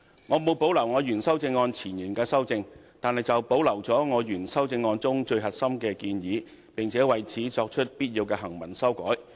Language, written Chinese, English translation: Cantonese, 我沒有保留我原修正案前言的修正，但保留了我原修正案中最核心的建議，並且為此作出必要的行文修改。, I have not retained my amendment to the preamble as found in my original amendment . But I have retained the core proposals in my original amendment and correspondingly made a necessary textual amendment